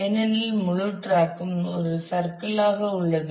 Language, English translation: Tamil, Because, it is at the whole track is a is kind of a circle